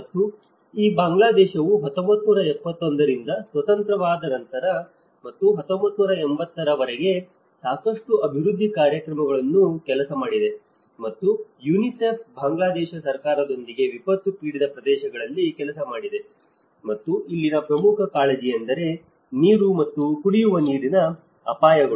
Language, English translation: Kannada, And this Bangladesh after becoming independent from 1971 and till 1980’s, a lot of development programs has been worked, and UNICEF has been working with the Bangladesh government sector in order to promote various vulnerable situations in the flood prone areas and as well as the disaster affected areas, and one of the major concern here is the water and the drinking water risks